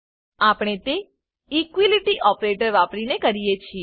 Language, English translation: Gujarati, We do this using (===) the equality operator